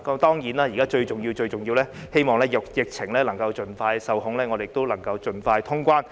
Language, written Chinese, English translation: Cantonese, 當然，現在最重要的是，希望疫情能盡快受控，我們能夠盡快通關。, Of course what is of utmost importance at present is that the pandemic can be kept under control very soon for early resumption of cross - boundary movements